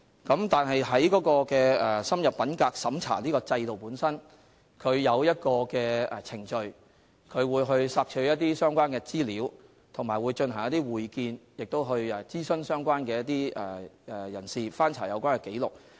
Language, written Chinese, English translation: Cantonese, 不過，深入審查制度下設有程序，包括索取相關資料、進行會見、諮詢相關人士及翻查有關紀錄。, However under the extended checking system there are established procedures including soliciting relevant information conducting interviews consulting relevant persons and inspecting relevant records